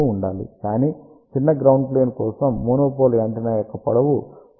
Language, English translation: Telugu, But for smaller ground plane length of the monopole antenna should be taken as larger than 0